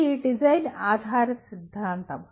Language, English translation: Telugu, It is a design oriented theory